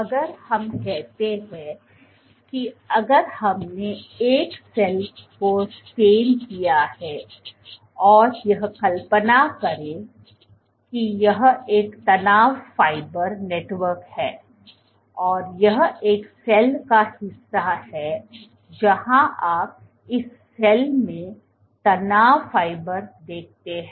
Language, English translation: Hindi, So, if we take let us say, so, if we take a cell let us say which is stained imagine this is one stress fiber network this is portion of a cell where you see stress fibers in this cell